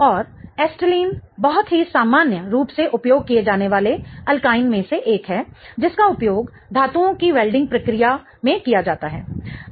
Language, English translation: Hindi, And acetylene is one of the very commonly used alkyne which is used in the welding process of metals